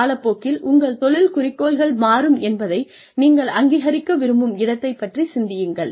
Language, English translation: Tamil, Think in terms of, where you ultimately want to be, recognizing that, your career goals will change over time